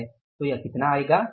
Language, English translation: Hindi, So, it is going to be how much